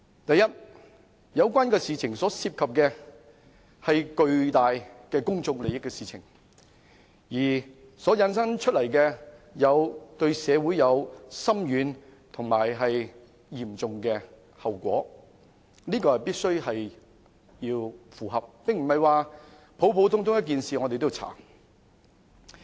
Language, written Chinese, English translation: Cantonese, 第一，有關事情牽涉的是巨大的公眾利益，而對社會會產生深遠及嚴重的後果，這是必須符合的條件，並不是普通的一件事情就要調查。, First some matters involve huge public interest and will have far - reaching and serious consequences on our society . This is a condition that must be met and investigations should not be conducted on ordinary matters